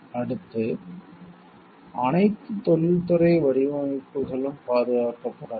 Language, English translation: Tamil, Next which all industrial designs can be protected